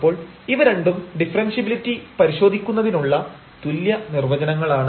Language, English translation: Malayalam, So, the both are equivalent definition or testing for differentiability